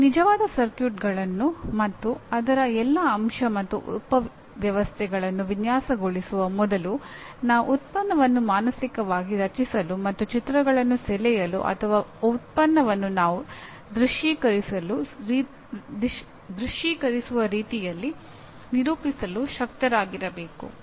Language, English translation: Kannada, Before I design the actual circuits and all the element subsystems of that, I must be able to structure the product mentally or draw pictures or render the product the way I am visualizing